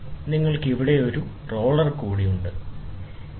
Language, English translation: Malayalam, You have one more roller here, ok